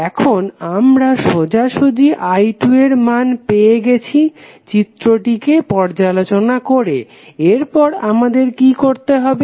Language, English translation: Bengali, Now, we got the value of i 2 straightaway through inspection using this figure, what we have to do next